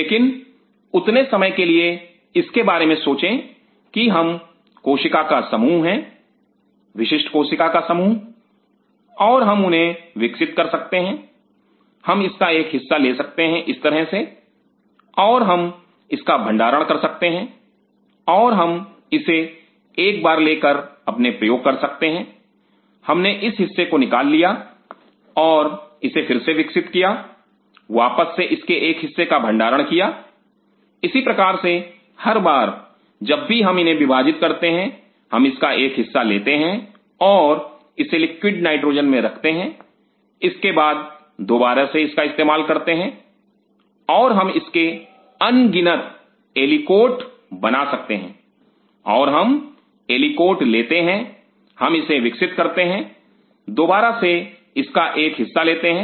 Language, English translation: Hindi, But just for the time being think of it key I am a mass of cell, unique mass of cell, and I can grow them, I can divide them, I can take a part of it like this, and I can store it, and I go this once and do my experiment I pulled out this part and take again growth and, again store a part of it; likewise every time whenever I am dividing them I am taking a part and store it in liquid nitrogen when after that again I am using it and I can make it in number of aliquots of it and I take aliquot I grow it and I again a take small part of it